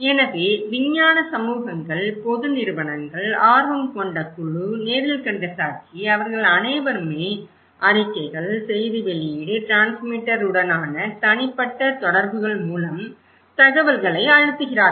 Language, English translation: Tamil, So, scientific communities, public agencies, interest group, eye witness they are all senders they are pressing the informations through reports, press release, personal interactions to the transmitter